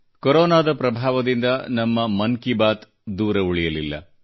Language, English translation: Kannada, Our Mann ki Baat too has not remained untouched by the effect of Corona